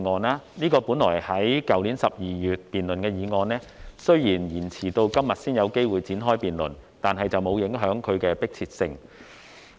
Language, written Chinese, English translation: Cantonese, 這項本應在去年12月辯論的議案，雖然延遲到今天才有機會展開辯論，但並沒有影響其迫切性。, The debate on this motion which should have been debated last December has been delayed until today but its urgency has not been affected